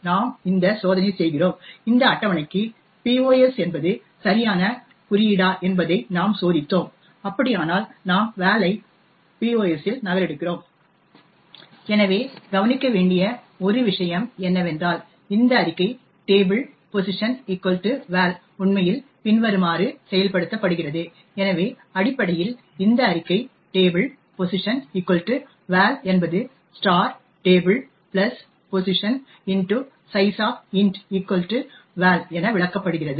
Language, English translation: Tamil, We do this check and we checked whether pos is a valid index for this table, if so only then we copy val into pos, so one thing to note is that this statement table of pos equal to val is actually executed as follows, so essentially this statement table[pos] = val is interpreted as *(table + pos * sizeof) = val